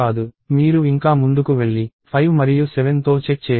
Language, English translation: Telugu, You still go ahead and check it with 5 and 7